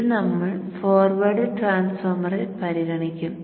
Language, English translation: Malayalam, Now consider the forward transformer